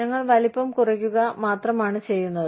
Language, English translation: Malayalam, We are just reducing the size